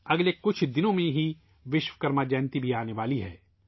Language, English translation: Urdu, in the next few days 'Vishwakarma Jayanti' will also be celebrated